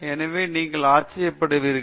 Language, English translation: Tamil, So, you would have wondered